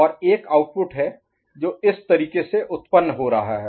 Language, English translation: Hindi, And there is a output that is getting generated in this manner